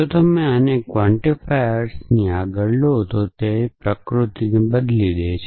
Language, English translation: Gujarati, So, if you move the naught across a quantifier it changes the nature of the quantifier